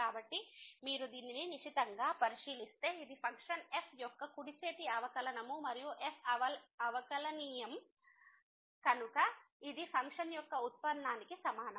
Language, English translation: Telugu, So, if you take a close look at this one this is the right hand derivative of the function and since is differentiable this will be equal to the derivative of the function